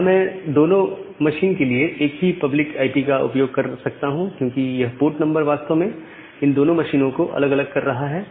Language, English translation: Hindi, Now, here I can use the same public IP for both the machine because this port number is actually making the differentiation